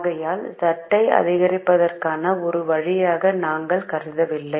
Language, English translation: Tamil, therefore we do not consider x four as a way to increase z